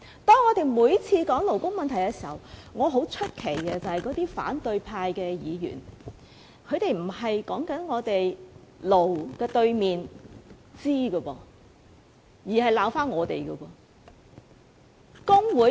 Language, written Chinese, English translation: Cantonese, 當我們每次討論勞工問題時，我很奇怪為甚麼那些反對派議員不是討論"勞"的對頭"資"，而是謾罵工聯會。, Each time when we discuss labour issues I wonder why opposition Members do not discuss the problems concerning employers the opponent of employees but revile FTU instead